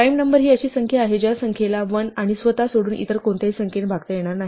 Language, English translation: Marathi, A prime number is one which is divisible by no other number other rather than 1 and itself